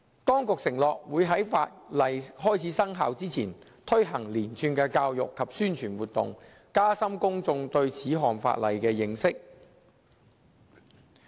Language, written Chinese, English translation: Cantonese, 當局承諾會在法例開始生效前，推行連串教育及宣傳活動，加深公眾對此項法例的認識。, The Administration assured that a series of education and publicity activities would be launched before the commencement of the enacted Ordinance to enhance public awareness on the Ordinance